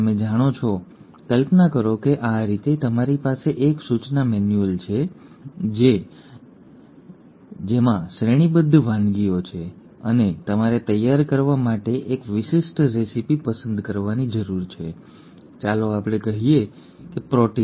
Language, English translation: Gujarati, You know, imagine like this, you have a instruction manual which has got a series of recipes and you need to pick out one specific recipe to prepare, let us say, a protein